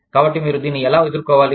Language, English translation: Telugu, And so, how do you deal with this